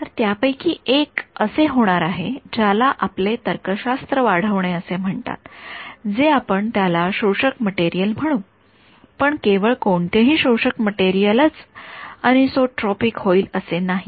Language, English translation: Marathi, So, one of them is going to be what is called as extending our logic we will call it an absorbing material ok, but not just any absorbing material that material will turn out to be anisotropic